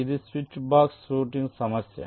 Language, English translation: Telugu, this can be a switch box routing